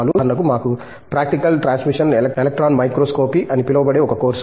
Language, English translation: Telugu, For example, we have a course which is called Practical Transmission Electron Microscopy Course